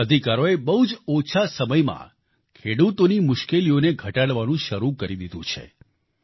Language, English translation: Gujarati, In just a short span of time, these new rights have begun to ameliorate the woes of our farmers